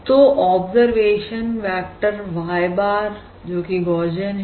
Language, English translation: Hindi, that is, the observation vector is Gaussian